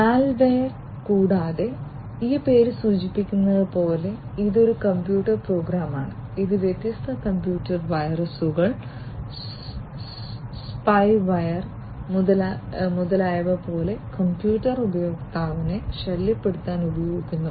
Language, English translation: Malayalam, Malware, and as this name suggests it is a computer program which is used to disturb the computer user such as different computer viruses, spyware and so on